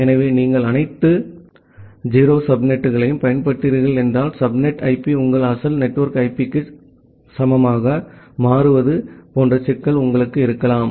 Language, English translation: Tamil, So, if you are using all 0 subnet, then you may have a problem like the subnet IP becomes equal to original to your the original network IP